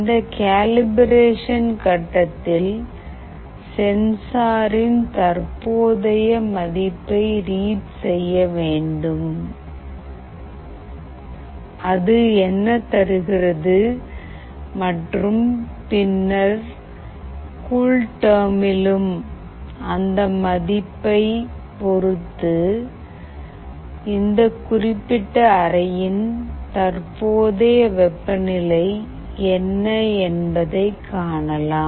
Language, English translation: Tamil, In this calibration step, you need to read the current value of the sensor, what it is giving and you can see that in CoolTerm and then with respect to that value, what is the current temperature of this particular room